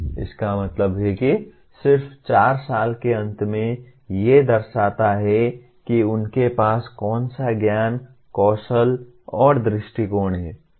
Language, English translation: Hindi, That means just at the end of 4 years these represent what is the knowledge, skills and attitudes they should have